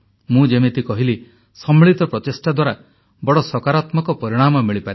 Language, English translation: Odia, As I've said, a collective effort begets massive positive results